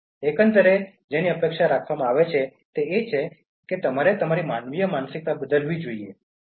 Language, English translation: Gujarati, Overall, what is expected is that you should change your anthropocentric mindset